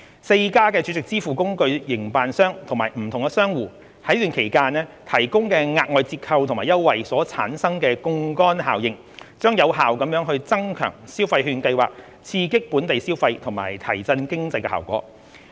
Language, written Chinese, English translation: Cantonese, 四間儲值支付工具營辦商及不同商戶在此期間提供的額外折扣及優惠所產生的槓桿效應，將有效增強消費券計劃刺激本地消費及提振經濟的效果。, The leverage effect created by the additional discounts and promotions offered by the four SVF operators and different merchants will effectively enhance the impact of the Scheme on stimulating local consumption and boosting the economy